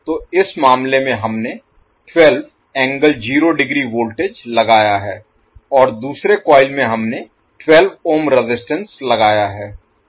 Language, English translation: Hindi, So in this case we have applied voltage that is 12 volt angle 0 and in the second coil we have applied 12 ohm as a resistance